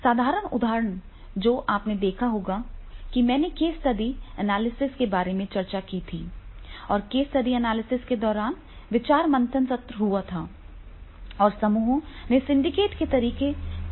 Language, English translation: Hindi, Simple example you must have seen in when I have discussed about the case study analysis and during the case study analysis there also there is a brainstorming and then the groups are syndicate method is used